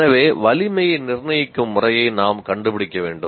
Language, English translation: Tamil, So we have to find, we have to find a method of determining the strength